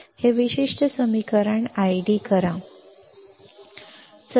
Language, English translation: Marathi, So, D I D this particular equation; equation 1